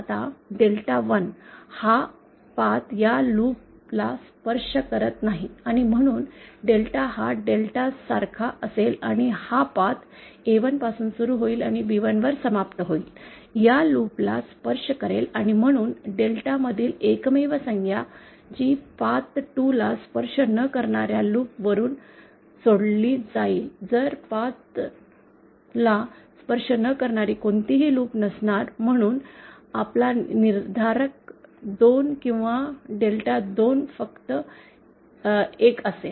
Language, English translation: Marathi, Now delta 1, this path does not touch this loop and hence delta one will be same as delta and this path starting from A1 and ending at B1, touches this loop and therefore the only term within delta that will be left using loops that do not touch the path 2, so would not have any loops which do not touch path 2, hence our determinant 2 or delta 2 will simply be 1